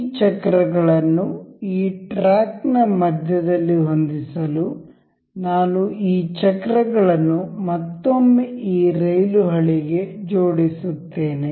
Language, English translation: Kannada, I will align these wheels to this rail track once again to have this wheels in the middle of this track